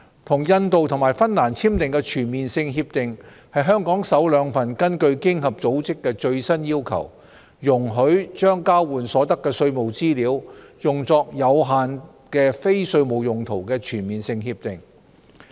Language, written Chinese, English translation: Cantonese, 與印度及芬蘭簽訂的全面性協定是香港首兩份根據經合組織最新要求，容許將交換所得的稅務資料用作有限的非稅務用途的全面性協定。, The Comprehensive Agreements entered into with India and Finland are the first two Comprehensive Agreements signed by Hong Kong to allow the use of exchanged tax information for limited non - tax related purposes in accordance with the latest OECD requirements